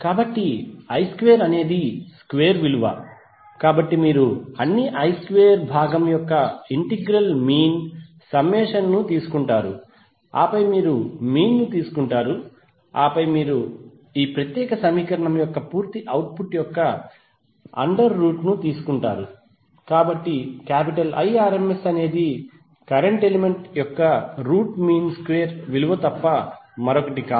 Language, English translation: Telugu, So I square is the square value, so you take the integral means summation of all I square component and then you take the mean and then you take the under root of the complete output of this particular equation, so I effective is nothing but root of mean square value of the current element